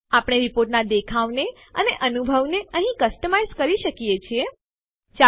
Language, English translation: Gujarati, We can customize the look and feel of the report here